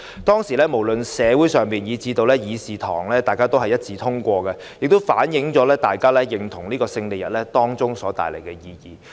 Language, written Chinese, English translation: Cantonese, 當時，不論在社會或議事堂也是一致支持，反映大家認同抗戰勝利日帶來的意義。, At that time the proposal was supported in the community and the Chamber which showed that everybody recognized the significance of the victory of the Chinese Peoples War of Resistance against Japanese Aggression